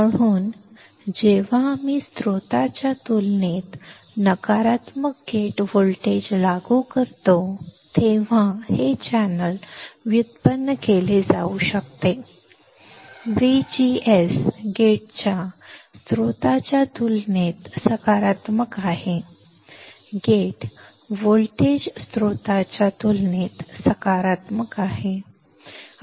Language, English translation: Marathi, So, this channel can be generated when we apply a negative gate voltage compared to the source, positive gate voltage compared to source of V G S gate is positive compared to source